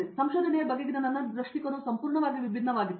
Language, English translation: Kannada, So, my perspective on research was completely altogether different